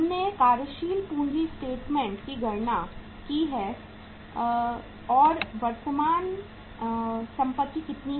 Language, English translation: Hindi, We have calculated from the working capital statement current assets are how much